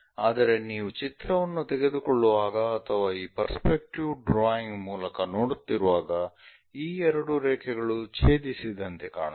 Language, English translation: Kannada, But when you are taking a picture or perhaps looking through this perspective drawing, these two lines looks like they are going to intersect